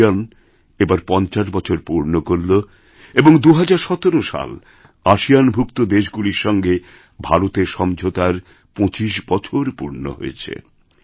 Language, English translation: Bengali, ASEAN completed its 50 years of formation in 2017 and in 2017 25 years of India's partnership with ASEAN were completed